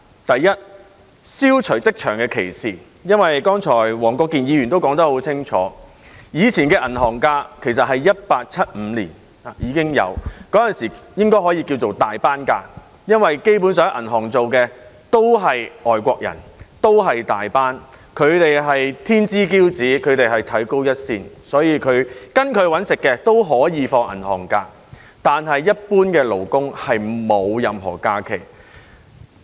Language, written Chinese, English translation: Cantonese, 第一，消除職場的歧視，因為黃國健議員剛才已說得很清楚，過往的銀行假期其實在1875年訂立，那時應該可以稱為"大班假期"，因為基本上在銀行工作的都是外國人，都是大班，他們是天之驕子，被看高一線，所以跟隨他們"搵食"的都可以放銀行假期，但一般勞工卻沒有任何假期。, First it seeks to eliminate discrimination in employment . As Mr WONG Kwok - kin has clearly said earlier the bank holidays in the past were designated in 1875 . At that time such holidays could be referred to as Tai - pan holidays because those working in banks were basically foreigners and Tai - pans who were elites and had an upper hand